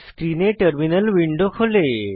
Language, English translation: Bengali, A terminal window appears on your screen